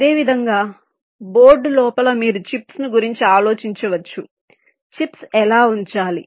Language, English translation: Telugu, similarly, within a board you can think of the chips, how to place the chips